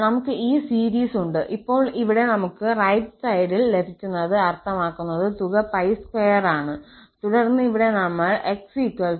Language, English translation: Malayalam, So, we have this series, now at this here, what we get the right hand side means the sum is pi square and then here, we will put x equal to plus minus pi